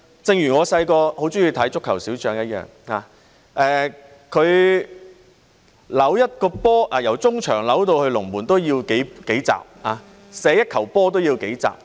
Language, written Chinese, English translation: Cantonese, 正如我小時候很喜歡看的《足球小將》一樣，他"扭"一個波，由中場"扭"到龍門都要數集的時間，射一球波也要數集的時間。, When it comes to MSW disposal it is just the very beginning . This can be compared to Captain Tsubasa which I very much liked to watch when I was a child . When he was dribbling the ball it would take several episodes for him to dribble it from midfield to the goalpost and it would take several episodes for him to score a goal